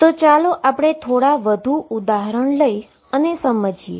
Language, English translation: Gujarati, So, let me just write some more examples